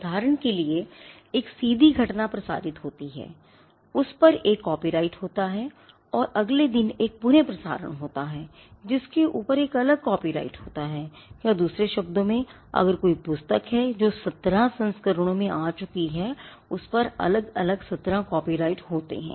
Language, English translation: Hindi, For instance a life event is broadcasted there is a copyright on it and there is a repeat broadcast the next day that has a separate copyright over it or to put it in another way if there is a book that has gone into seventeen editions the book will have seventeen copyrights over it each one different from the other